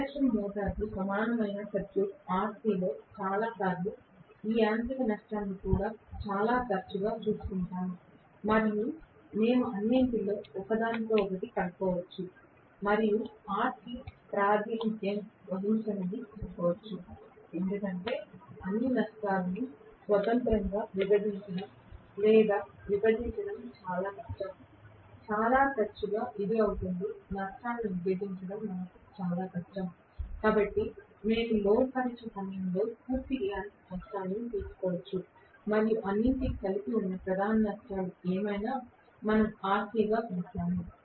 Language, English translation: Telugu, Most of the times in induction motor equivalent circuit RC would also take care of this mechanical losses very often we might club everything together and say let RC represented, because it is very difficult to bifurcate or you know partition all the losses independently, very often it will become very difficult for us to partition the losses, so we might take the complete mechanical losses during no load test plus whatever is the core losses everything put together we might call that as RC right